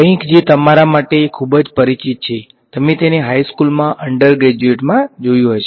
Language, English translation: Gujarati, Something which is very familiar to you, you would have seen it in high school, undergrad alright